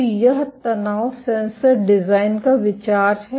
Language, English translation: Hindi, So, this is the idea of the tension sensor design